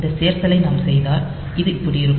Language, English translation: Tamil, So, if we do this addition